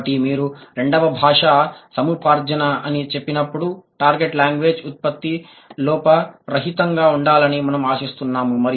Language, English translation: Telugu, So, when you say second language learning, we expect the production of the target language should be error free, right